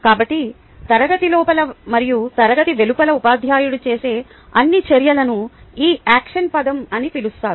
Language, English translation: Telugu, so all the action that the teacher does inside the class and outside the class is clubbed in this word called action